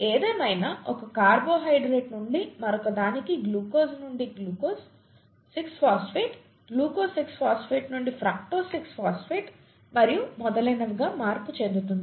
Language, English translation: Telugu, However, the conversion from one carbohydrate to another, glucose to glucose 6 phosphate, glucose 6 phosphate to fructose 6 phosphate and so on so forth